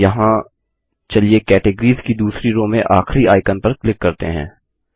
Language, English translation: Hindi, Here, let us click on the last icon in the second row of categories